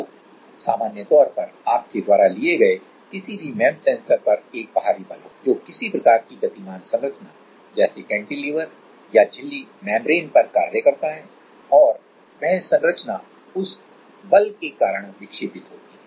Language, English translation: Hindi, So, in general any MEMS sensor you take there is an external force which is acting on some kind of moving structure like cantilever or membrane and that structure is because of that force that structure is deflected